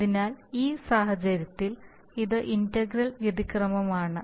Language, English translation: Malayalam, So in this application it is the error integral